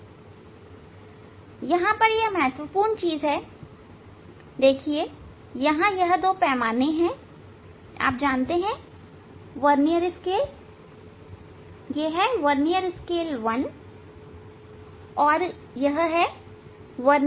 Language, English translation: Hindi, now, here important things are there this two scales are there you know, vernier scale 1, vernier scale 2